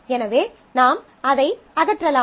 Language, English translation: Tamil, So, you can remove that as well